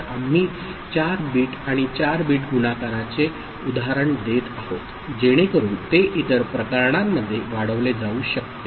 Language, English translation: Marathi, So, we are giving an example of 4 bit and 4 bit multiplication right, so it can be extended for other cases